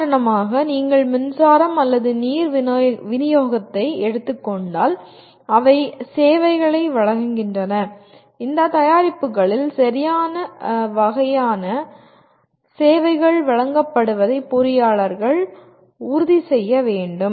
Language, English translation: Tamil, They provide services on for example you take a electric supply or water supply, the engineers will have to make sure right kind of services are provided on these products